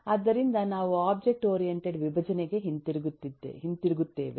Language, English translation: Kannada, so we turn to object oriented decomposition